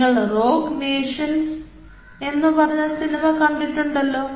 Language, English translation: Malayalam, you have seen this movie called rogue nations, something like that